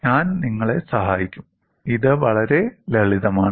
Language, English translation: Malayalam, Then, I will help you; it is fairly simple